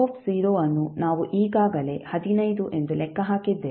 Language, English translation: Kannada, V0 we have calculated already that is 15